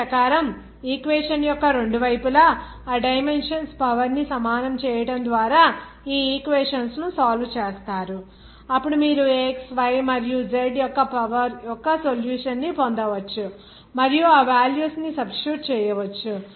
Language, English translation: Telugu, Accordingly, you solve these equations just by equalizing the power of those dimensions on both sides of the equation then you can get a solution of a power of x, y and z like this and then substitution of those values